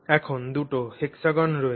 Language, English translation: Bengali, Let's look at two different hexagons here